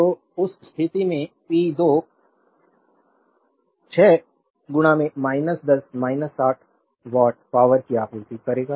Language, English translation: Hindi, So, in that case p 2 will be 6 into minus 10 minus 60 watt power supplied